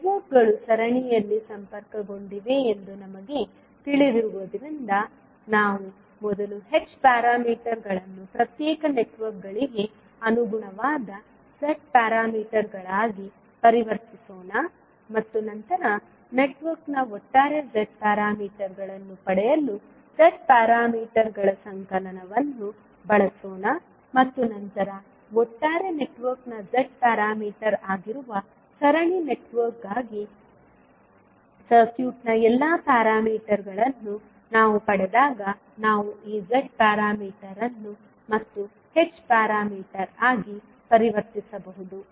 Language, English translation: Kannada, Since we know that the networks are connected in series, the best thing is that let us first convert the H parameters into corresponding Z parameters of individual networks and then use the summation of the Z parameters to get the overall Z parameters of the network and then when we get all the parameters of the circuit for a series network that is the Z parameter of the overall network, we can convert this Z parameter again back into H parameter